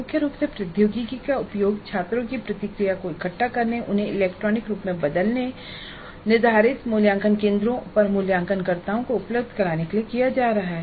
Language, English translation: Hindi, So primarily the technology is being used to gather the student responses turn them into electronic form and make them available to the evaluators at designated evaluation centers